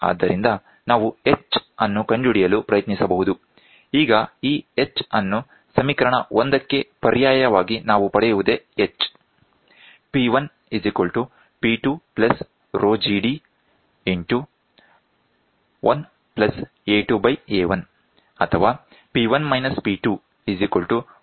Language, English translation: Kannada, So, we can try to find out h, now substituting this h back into this equation 1, what we get is to substituting h